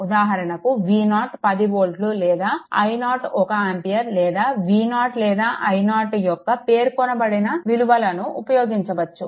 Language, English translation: Telugu, For example, we may use V 0 is equal to 10 volt or i 0 is equal to 1 ampere or any unspecified values of V 0 or i 0 right